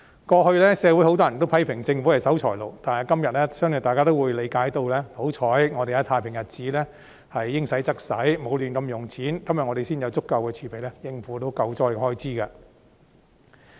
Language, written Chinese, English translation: Cantonese, 過去社會有很多人批評政府是守財奴，但今天相信大家也會理解，幸好我們在太平日子應花則花，沒有胡亂花費，今天才有足夠的儲備應付救災的開支。, This is actually an important disaster - relief measure . Many members of the community accused the Government of being a miser in the past but I believe people will be thankful nowadays that by spending within our means and refraining from squandering money in the halcyon days we now have sufficient reserves to cope with disaster - relief expenditure